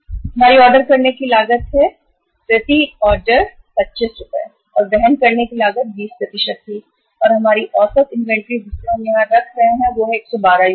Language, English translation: Hindi, Our ordering cost is, cost per order is 25 per order and the carrying cost was 20% and our average inventory we are keeping here is that is 112 units